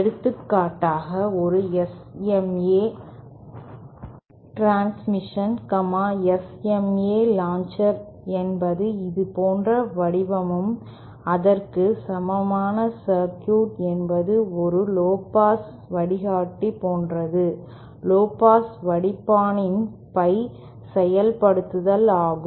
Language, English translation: Tamil, And for example, an SMA transition, the SMA launcher is shaped like this and its equivalent circuit is like a lowpass filter, pie implement of a lowpass filter